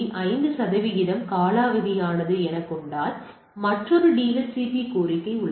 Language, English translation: Tamil, 5 percent was expired then there is a another DHCP request right